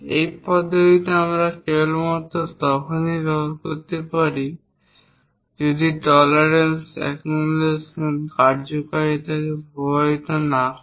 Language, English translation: Bengali, This method we can use it only if tolerance accumulation is not going to affect the function of the part